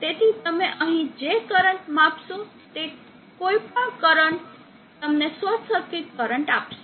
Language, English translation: Gujarati, So any current that you measure here will give you the short circuit current